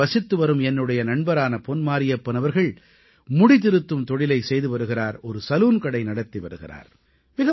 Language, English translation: Tamil, My friend from this town Pon Marriyappan is associated with the profession of hair cutting and runs a salon